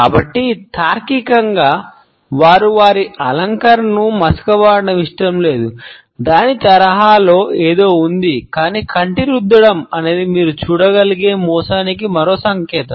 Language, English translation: Telugu, So, logical as they do not want to smudge their makeup, there is something along the lines of that, but the eye rub is yet another sign of deceit that you can look out for